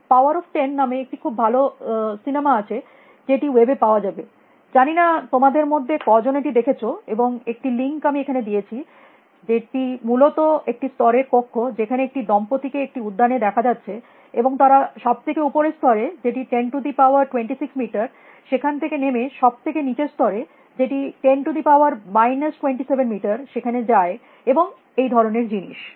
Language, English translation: Bengali, There is a very nice movie; I do not know how many of you have seen it called, ‘powers of ten’ which is available on the web, and there is a link I have given here which essentially is rooms out of a level in which a couple is seen in a park and goes to the very top most level here which you can see a 10 rise to 26 meters and then zooms down back and goes to the bottom most level which is 10 raise to minus 17 meters and things like that